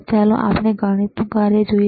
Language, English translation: Gujarati, Now let us see the math function